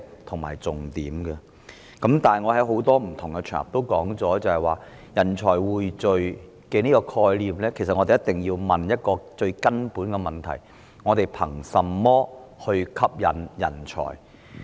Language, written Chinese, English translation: Cantonese, 我曾在多個不同場合提到，對於人才匯聚這個概念，我們一定要問一個最根本的問題：我們憑甚麼吸引人才？, I have mentioned on various occasions that as regards the concept of pooling talent we must ask the most fundamental question what do we use to attract talent?